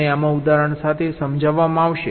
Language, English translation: Gujarati, i shall be explained in this with example